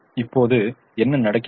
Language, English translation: Tamil, now what happens